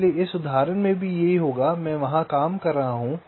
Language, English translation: Hindi, so same thing will happen here in this example